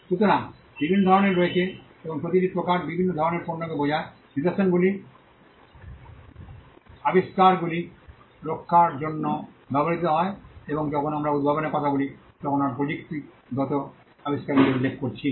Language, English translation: Bengali, So, there are different types and each type refers to a different category of products, patterns are used for protecting inventions and when we talk about inventions, we are referring to technological inventions